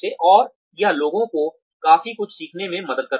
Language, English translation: Hindi, And, that helps people learn quite a bit